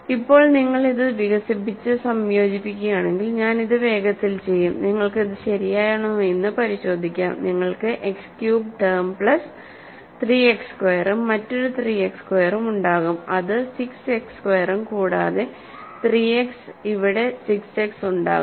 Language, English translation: Malayalam, So, now, if you expand this and combine; so, I will quickly do this and you can check the it is correct you will have X cubed term plus 3 X squared and there will be another 3 X squared that will be 6 X squared plus there will be a 3 X here and 6 X here